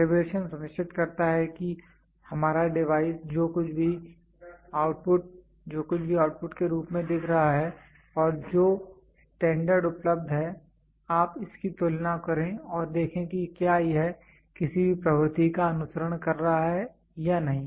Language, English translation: Hindi, Calibration is makes sure our device whatever is showing as an output and the standard which is available you just compare it and see whether it is whether it is following any trend